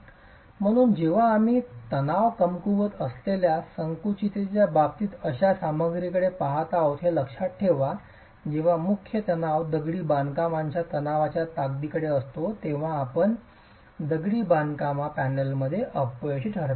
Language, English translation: Marathi, So when the considering that we are looking at a material which is weak in tension, strong in compression, when the principal tension approaches the tensile strength of masonry, you get failure in the masonry panel